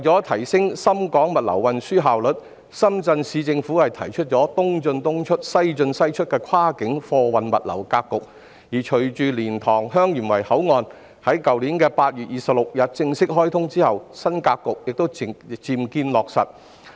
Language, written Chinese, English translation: Cantonese, 為提升深港物流運輸效率，深圳市政府提出"東進東出、西進西出"的跨境貨運物流格局，而隨着蓮塘/香園圍口岸於去年8月26日正式開通，新格局漸見落實。, To enhance the efficiency of logistics and transportation between Shenzhen and Hong Kong the Shenzhen Municipal Government has proposed a cross - boundary logistics pattern of East in East out West in West out . With the commissioning of the LiantangHeung Yuen Wai Boundary Control Point on 26 August last year the new pattern is gradually formed